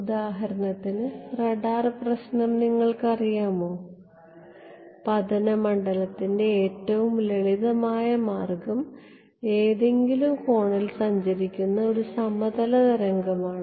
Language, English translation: Malayalam, So, you know radar problem for example, the simplest way of incident field is a plane wave travelling at some angle